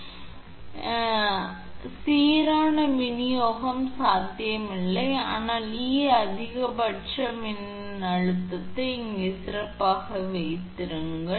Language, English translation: Tamil, So, there is little bit although not, but uniform distribution not possible, but volt this E max E min it be better here right